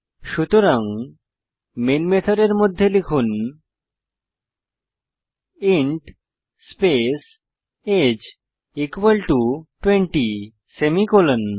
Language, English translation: Bengali, So type inside the main method int age is equal to 20 semi colom